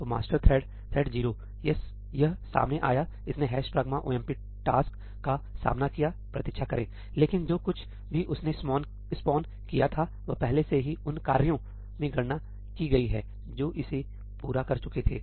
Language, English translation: Hindi, So, the master thread; thread 0, it came out, it encountered hash pragma omp task; wait, but whatever it had spawned has already been computed in the tasks that it had spawned they are completed